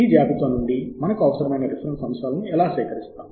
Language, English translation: Telugu, and how do we then collect the reference items that we need from this list